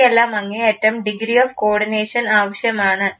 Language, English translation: Malayalam, All this require extreme degree of coordination